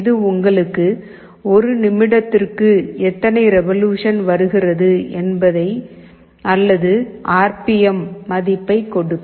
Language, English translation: Tamil, This will give you your revolutions per minute or RPM value